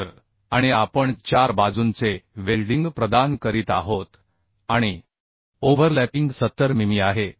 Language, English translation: Marathi, So and we are providing four sides welding right and overlapping is 70 mm